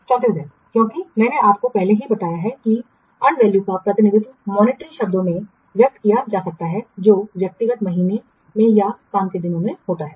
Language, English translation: Hindi, 34 days because I have already told you, and value can be represented, can be expressed in monetary terms in what person months or in work days